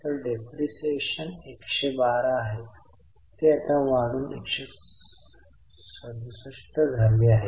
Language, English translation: Marathi, So, depreciation is 112, now it has increased to 167